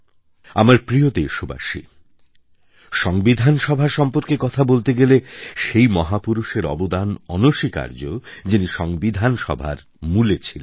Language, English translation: Bengali, My dear countrymen, while talking about the Constituent Assembly, the contribution of that great man cannot be forgotten who played a pivotal role in the Constituent Assembly